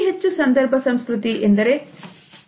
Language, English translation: Kannada, What is high context culture